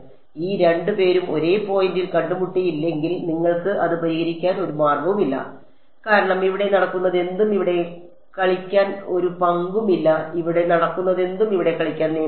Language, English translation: Malayalam, If these 2 did not meet at the same point, there is no way for you to fix it because whatever is happening here has no role to play over here, whatever is happening here as no rule to play over here